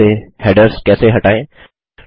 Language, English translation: Hindi, How to remove headers from the first page